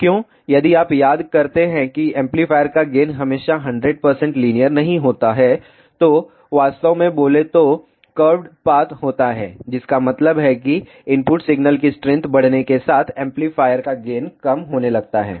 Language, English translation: Hindi, Why, if you recall amplifier gain is not always a 100 percent linear, it actually speaking has a curved path that means, amplifier gain starts reducing as the input signal strength increases